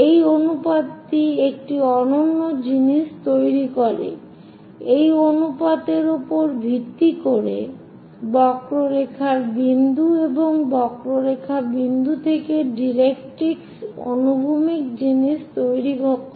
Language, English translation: Bengali, This ratio makes one unique thing, based on this ratio focus to point of the curve and point of the curve to directrix horizontal thing